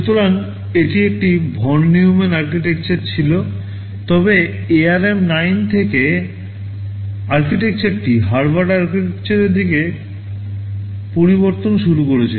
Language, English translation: Bengali, So, it was like a von Neumann architecture, but from ARM 9 onwards the architecture became it started a shift towards Harvard architecture right